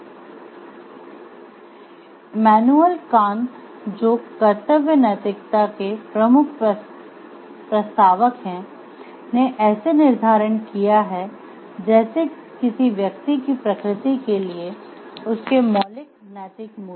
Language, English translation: Hindi, So, Immanuel Kant the major proponent of the duty ethics set like the moral values are very fundamental to the nature of the individual